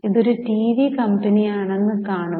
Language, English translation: Malayalam, See, this is a TV company